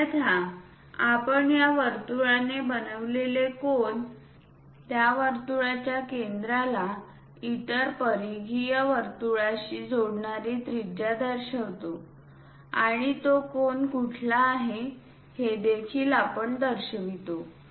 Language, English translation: Marathi, Otherwise, one can really show angle made by that circle, the radius connecting center of that circle to other peripheral circle, what is that angle also we usually mention